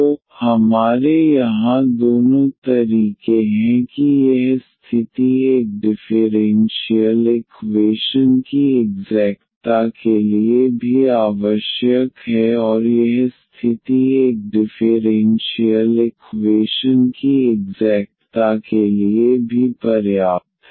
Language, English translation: Hindi, So, we have both ways here that this condition is also necessary for the exactness of a differential equation and this condition is also sufficient for exactness of a differential equation